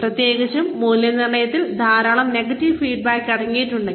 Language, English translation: Malayalam, Especially, if the appraisal contains, a lot of negative feedback